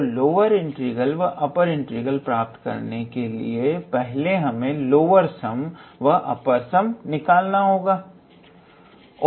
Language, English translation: Hindi, Now, in order to obtain the lower integral or upper integral, we first have to obtain the lower sum and the upper sum